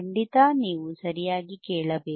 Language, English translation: Kannada, oOff course you have to listen right